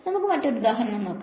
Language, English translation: Malayalam, So, let us take a few examples